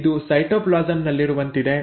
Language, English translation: Kannada, So this is like in the cytoplasm